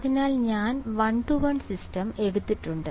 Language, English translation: Malayalam, So, one to one system I have taken